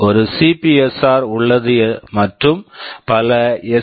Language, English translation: Tamil, There is one CPSR and there are several SPSR